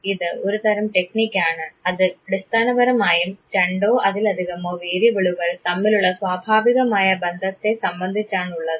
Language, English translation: Malayalam, This type of a technique is basically based on the natural occurrence of relationship between two or more variables